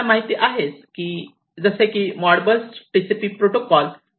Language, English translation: Marathi, So, we will start with the ModBus TCP